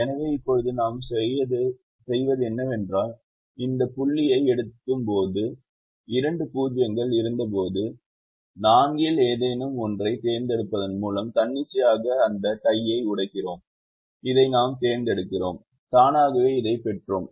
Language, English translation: Tamil, so what now we did is, when we reached this point, when we reached this point, when we had two zeros, we could have broken that tie arbitrarily by choosing any one of the four